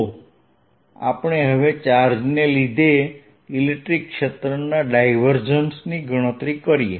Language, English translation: Gujarati, so let us know calculate the divergence of the electric field due to a charge